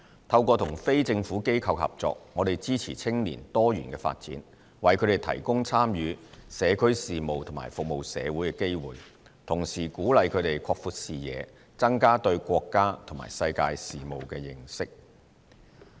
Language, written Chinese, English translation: Cantonese, 透過與非政府機構合作，我們支持青年多元發展，為他們提供參與社區事務和服務社會的機會，同時鼓勵他們擴闊視野，增加對國家和世界事務的認識。, In collaboration with non - governmental organizations NGOs we support diverse development of young people provide them with opportunities to participate in community affairs and to serve the community and encourage them to broaden their horizons and enhance their understanding of national and world affairs